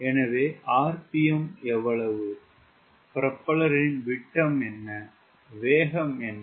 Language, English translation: Tamil, what is the diameters of propeller, what is the speed